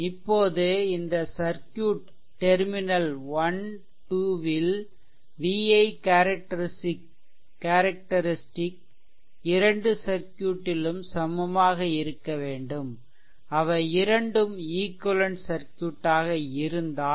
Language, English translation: Tamil, Now, for this circuit also because at terminal one and two, this vi characteristic of both the circuit has to be same it is I mean the circuits are equivalent to each other